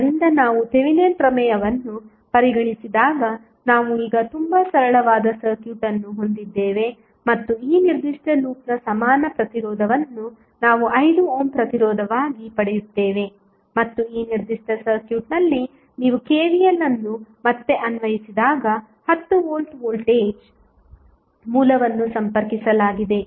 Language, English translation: Kannada, So, we have now very simple circuit when we consider the Thevenin theorem and we get the equivalent resistance of this particular loop as 5 ohm plus 10 ohm volt voltage source is connected when you apply again the KVL in this particular circuit you will get again current i x minus 2 ampere